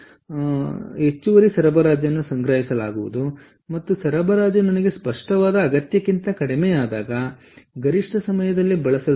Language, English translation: Kannada, so therefore, the additional supply that i have will be stored and which will be used during the peak hour when the supply is less than what i need